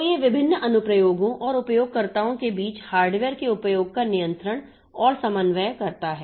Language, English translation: Hindi, So, it controls and coordinates use of hardware among various applications and users